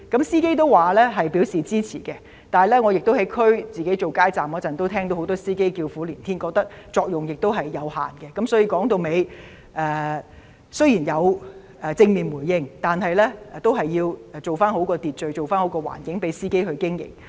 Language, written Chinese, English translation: Cantonese, 司機都對有關措施表示支持，但我在所屬選區擺街站時，仍聽到很多司機叫苦連天，覺得有關措施作用有限，一言蔽之，雖然有關措施獲正面回應，但政府都要做好秩序、環境讓司機經營。, Though supportive of the relevant measures drivers consider them of limited help as I can still hear bitter complaints from drivers at the street booth I set up in my constituency . To put it in a nutshell despite the positive response to the measures concerned the Government should do a proper job in keeping order and providing an environment for drivers to do their business